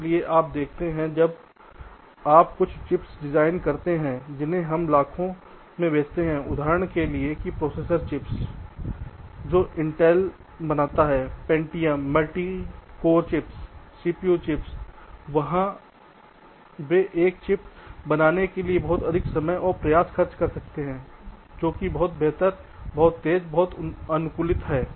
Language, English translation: Hindi, so you see, ah, when you design some chips which we except to cell in millions, for example the processor chips which intel manufactures, the pentiums, the multicore chips, cpu chips they are, they can effort to spend lot more time and effort in order to create a chip which is much better, much faster, much optimize